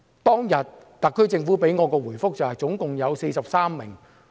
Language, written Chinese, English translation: Cantonese, 特區政府當天給我的答覆是共有43人。, The HKSAR Government told me that day that there were a total of 43 people